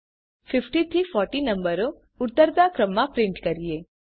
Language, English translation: Gujarati, Now Let us print numbers from 50 to 40 in decreasing order